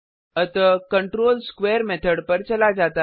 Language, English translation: Hindi, So the control jumps to the square method